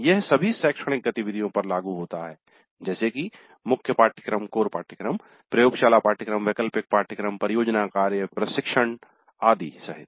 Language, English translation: Hindi, It is applicable to all academic activities including core courses, laboratory courses, elective courses, project work, internship and so on